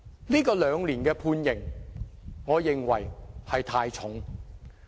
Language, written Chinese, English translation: Cantonese, 這項兩年的判刑，我認為太重。, This sentence of a two - year term of imprisonment is in my view too heavy